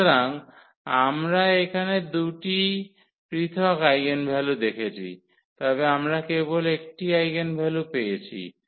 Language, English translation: Bengali, So, here we have seen there were two different eigenvalues, but we get only one eigenvector